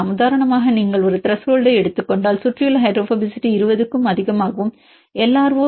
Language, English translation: Tamil, If you take a particular threshold for example, surrounding hydrophobicity is more than 20 and LRO is more than 0